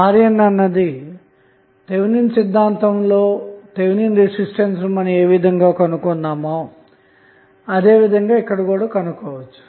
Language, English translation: Telugu, Now, R n can be found in the same way we found RTH that was the Thevenin's resistance, which we did in the Thevenin's theorem discussion